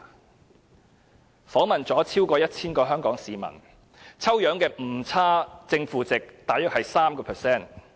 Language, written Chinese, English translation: Cantonese, 這項調查訪問了超過 1,000 名香港市民，抽樣的誤差正負值大約是 3%。, Over 1 000 citizens of Hong Kong were interviewed in this survey with a sampling error of about ± 3 %